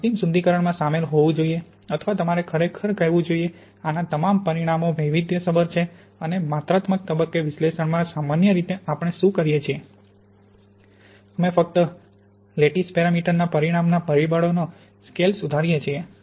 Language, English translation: Gujarati, The final refinement should include, or you should really say, all the parameters of this has been varied and in quantitative phase analysis usually what we do, we refine only the scale factors in the lattice parameter